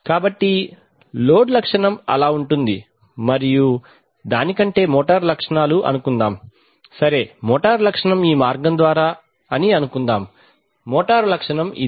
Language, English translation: Telugu, So suppose the load characteristic goes like this and the motor characteristic rather than that, right, suppose the motor was motor characteristic is through this path, motor characteristic is this